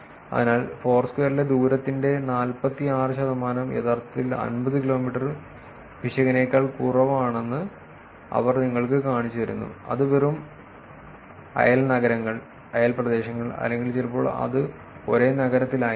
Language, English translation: Malayalam, So, they just shows you that we are able to actually identify 46 percent of the distance in Foursquare is actually less than error of 50 kilometers, which is just neighboring cities, neighboring places, or sometimes it could be just in the same city